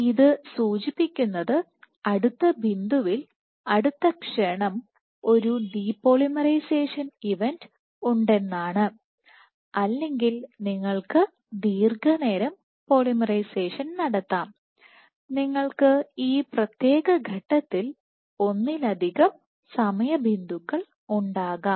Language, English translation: Malayalam, So, suggesting that in the next point next time instant there is a depolarization event so on and so forth, or you can have prolonged polymerization you can have multiple time points along at this particular point let us say at this point you see polymerization happening continuous